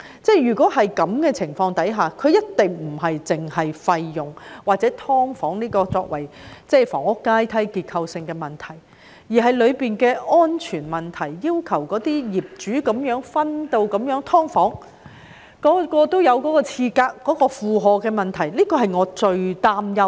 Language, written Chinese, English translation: Cantonese, 在這種情況下，它一定不僅關乎費用或把"劏房"作為房屋階梯所存在的結構性問題，當中亦有安全問題，例如業主這樣分隔出"劏房"，令每個單位也設有廁格所帶來的負荷問題，這便是我最擔憂的事情。, In such circumstances it is not just a matter concerning fees or the inherent problem with subdivided units being included as part of the housing ladder it also has safety concerns for example the loading problem arising from the subdivision of a flat by the owner into subdivided units each of which has its own toilet . This is what I am most worried about